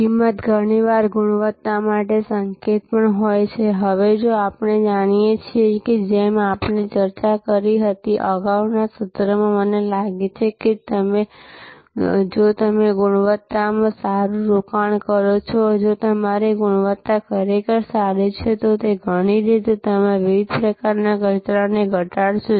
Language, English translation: Gujarati, Now, price is often also a signal for quality, we know now as we discussed I think in the previous session that if you invest well in quality and if your quality is really good, then in many ways you will be reducing waste of different kinds, which means you will reduce costs of different kind